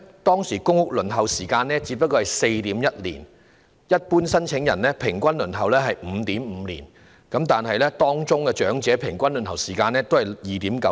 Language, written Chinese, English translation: Cantonese, 當時的公屋輪候時間只是 4.1 年，一般申請人平均輪候 5.5 年，長者的平均輪候時間則只是 2.9 年。, The waiting time for public rental housing PRH was only 4.1 years then among which the average waiting time of general PRH applicants was 5.5 years while that for elderly applicants was only 2.9 years